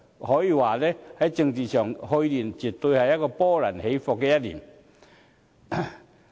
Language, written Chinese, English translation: Cantonese, 可以說，在政治上，去年絕對是波濤起伏的一年。, Politically speaking last year was definitely not a smooth year